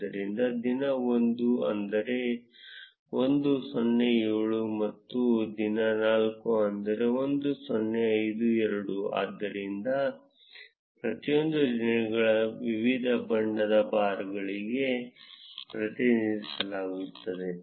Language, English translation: Kannada, So, day 1 its 1 0 7, and day 4 its 1 0 5 2, so each of the days are represented by different color of bars